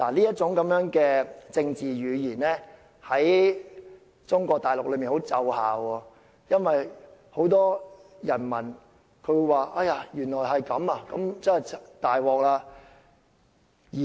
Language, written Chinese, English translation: Cantonese, 這種政治語言在中國大陸很奏效，令很多人民覺得原來情況如此，真的很糟糕。, Such political jargon is so effective in the Mainland that many Chinese people actually believe that Hong Kong is in a terrible situation